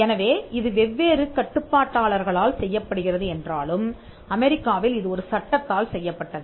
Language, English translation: Tamil, So, though it is done by different regulators, in the US it was done by a statute an Act